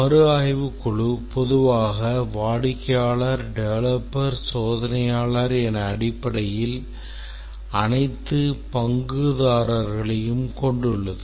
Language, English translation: Tamil, Review team typically consists of the customer, the developer, tester, basically all stakeholders